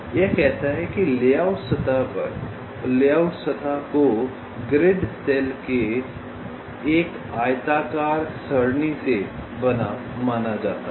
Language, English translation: Hindi, it says that the layout surface is assumed to be made up of a rectangular array of grid cells